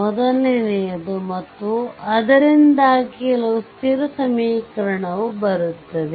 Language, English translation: Kannada, So, what we can do is first and because of that some constant equation will come